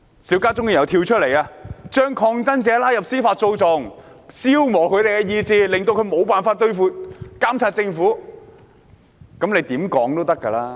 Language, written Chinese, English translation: Cantonese, 邵家臻議員又會說這是把抗爭者拉入司法訴訟，消磨他們的意志，令他們無法監察政府。, Mr SHIU Ka - chun will say that protesters are being pulled into judicial proceedings in order to wear down their will power so that they cannot monitor the Government